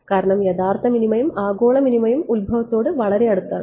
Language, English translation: Malayalam, Because the true minima and the global minima are very close to the origin